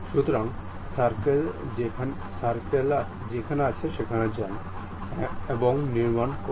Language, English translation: Bengali, So, circle, go there, construct